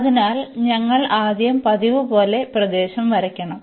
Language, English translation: Malayalam, So, we have to first sketch the region as usual